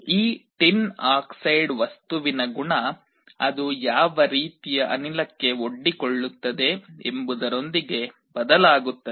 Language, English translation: Kannada, The property of this tin dioxide material varies with the kind of gas that it is being exposed to